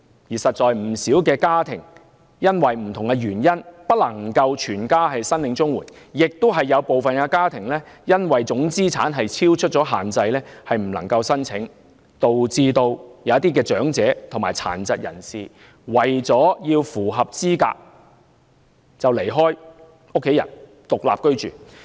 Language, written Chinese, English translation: Cantonese, 事實上，不少家庭因為種種原因不能全家申領綜援，亦有部分家庭因為總資產超出限制而不能申請，導致有些長者和殘疾人士為了符合資格而離開家人獨立居住。, In fact quite a lot of families cannot apply for CSSA on a household basis due to a variety of reasons . Some families cannot apply for CSSA because the total assets held have exceeded the limit . As a result some elderly people and persons with disabilities have to leave their families to live on their own in order to be eligible for CSSA